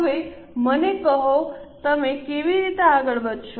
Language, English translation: Gujarati, Now, tell me how will you proceed